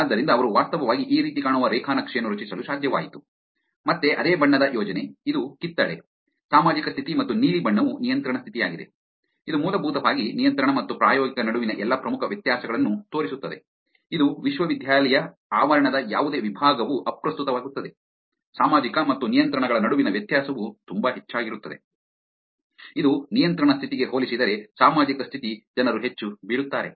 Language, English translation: Kannada, So, they were able to actually create a graph which looks like this, again the same color of color scheme, which is orange being the social condition and blue being the control condition, which basically shows that all majors significant difference between control and experimental, which is any department of the campus it does not matter, the difference between social and controls is very high which is social people fall more compared to the control condition